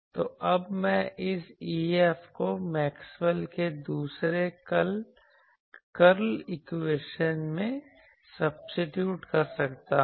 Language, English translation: Hindi, So, now, I can substitute this E F in the Maxwell’s Second Curl equation